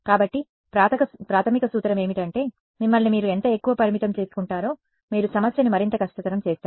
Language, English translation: Telugu, So, the basic principle is the more you limit yourselves the harder you make a problem